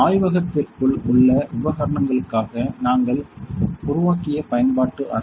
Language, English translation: Tamil, So, that is the utility room that we have created for the equipment inside the lab